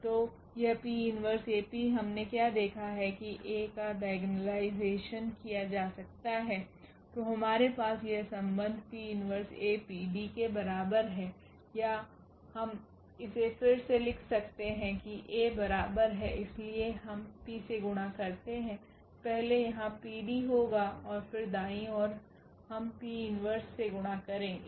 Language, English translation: Hindi, So, this P inverse AP what we have seen that A can be diagonalized then we have this relation P inverse AP is equal to D or we can rewrite it that A is equal to so we multiply by P here first there will be PD and then the right side we will multiply by P inverse